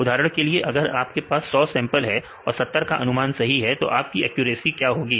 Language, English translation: Hindi, For example, if you have 100 samples and 70 is correctly predicted, accuracy will be